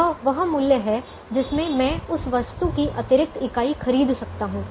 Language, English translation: Hindi, it is the notional price in which i can buy the extra unit of that item